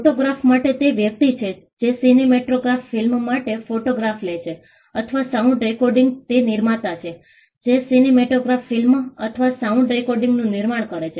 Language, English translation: Gujarati, For a photograph it is the person who takes the photograph for a cinematograph film or sound recording it is the producer, who produces the cinematograph film or the sound recording